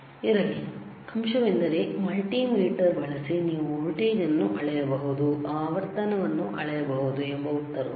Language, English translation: Kannada, The point here is that, using the multimeter can you measure voltage can you measure frequency the answer is, yes